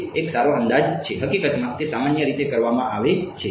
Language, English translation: Gujarati, It is a good approximation, in fact it is commonly done ok